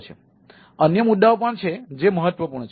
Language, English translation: Gujarati, so there there can be other issues